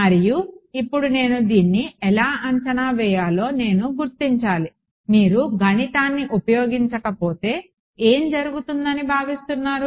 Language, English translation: Telugu, And now I have to figure out how do I approximate this, again without doing the math what do you expect will happen